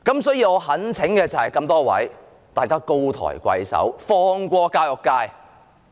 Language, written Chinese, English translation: Cantonese, 所以，我懇請各位高抬貴手，放過教育界。, Therefore I urge everyone in the Government to show mercy and spare the education sector